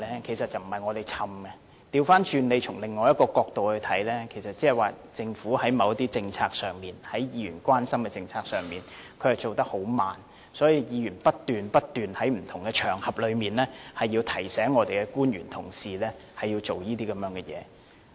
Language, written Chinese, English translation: Cantonese, 其實不是我們長氣，大家可以從另一個角度看，換言之政府在某些議員關心的政策上進展緩慢，所以議員不斷在不同場合提醒我們的官員要進行這些工作。, In fact it is not because we are long - winded . We can view this from another perspective . In other words the Government has been acting slowly in the policies of Members concern and that is why Members keep on reminding our public officers to carry out certain work